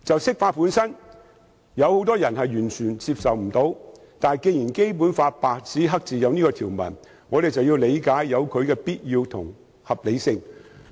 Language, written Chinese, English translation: Cantonese, 雖然很多人完全無法接受釋法，但既然《基本法》白紙黑字印有這項條文，我們便要理解它的必要性和合理性。, Although many people totally reject the interpretation of the Basic Law since this provision is expressly stated in the Basic Law we have to understand that it is necessary and reasonable to interpret the Basic Law